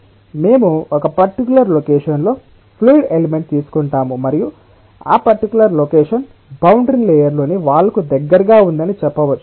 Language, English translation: Telugu, so let us say that we take a fluid element, so we take a fluid element at a particular location and that particular location may be, say, close to the wall within the boundary layer